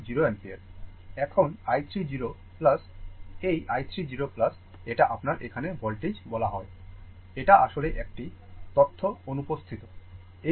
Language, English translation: Bengali, Now, i 3 0 plus this is your i 3 0 plus it is your what you call voltage here it is actually one data is missing; this value this value is 25 ohm right, this is 25 ohm